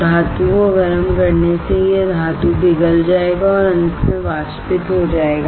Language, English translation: Hindi, Heating the metal will cause it the metal to melt and finally, evaporate